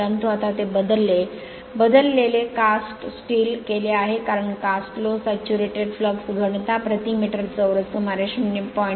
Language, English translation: Marathi, But now it has been replaced by your cast steel this is because the cast iron is saturated by flux density of about 0